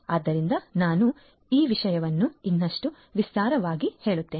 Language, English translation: Kannada, So, let me now elaborate this thing further